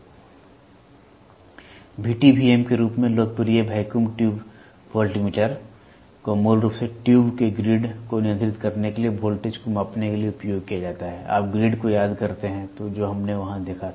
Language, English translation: Hindi, The vacuum tube voltmeter; the vacuum tube voltmeter popularly known as VTVM is basically used to measure the voltage to control the grid of the tube; you remember the grid what we saw there